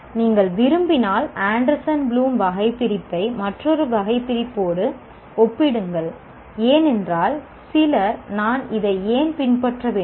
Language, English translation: Tamil, Compare the Anderson Bloom taxonomy with another taxonomy if you like because some people say why should I follow this